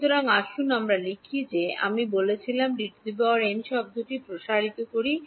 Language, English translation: Bengali, So, let us write down let us expanded the D n term which I had